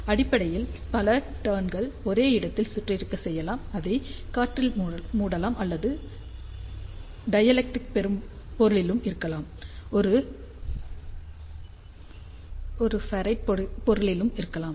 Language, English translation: Tamil, So, basically you can rap at the same place number of turns, it can be wrapped in the air or it can be on the dielectric material or it can be on a ferrite material also